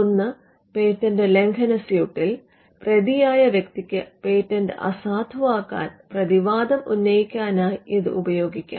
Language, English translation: Malayalam, One, it could be generated by a defendant in a patent infringement suit; where the defendant wants to raise a counterclaim to invalidate the patent